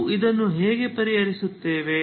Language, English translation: Kannada, So how do we solve this